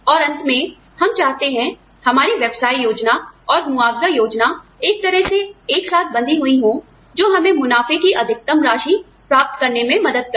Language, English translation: Hindi, And, at the end, we want, our, the business plan and compensation plan, tied together in a manner, that it helps us achieve, the maximum amount of profit